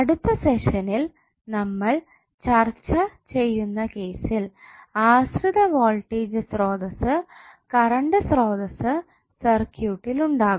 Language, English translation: Malayalam, In next session we will discuss the case where we have dependent voltage or dependent current source is also available in the circuit